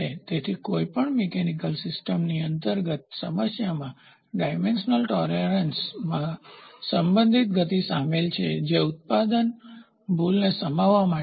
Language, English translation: Gujarati, So, one of the inherent problem of any mechanical system involves relative motion in dimensional tolerance that needs to be provided in order to accommodate manufacturing error